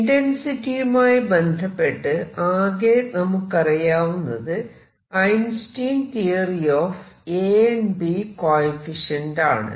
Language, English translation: Malayalam, The only thing that we have is Einstein’s theory of a and b coefficient